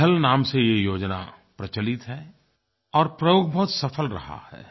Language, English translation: Hindi, This scheme is known as 'Pahal' and this experiment has been very successful